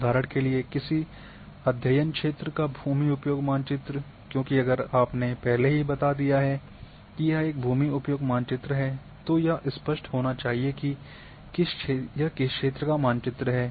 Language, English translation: Hindi, For example, land use map of the study area once you have said land use map then of which area